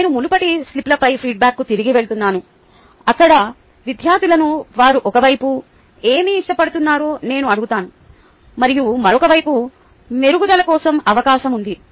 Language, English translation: Telugu, i am going back to the previous ah feedback on slips, where i ask the students ah what they like on one side and a scope for improvement on other side